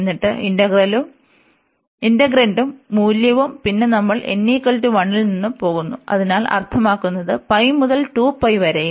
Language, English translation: Malayalam, And then this integrant and the value, then we are going from n is equal to 1, so that means pi to 2 pi, and this integrant and so on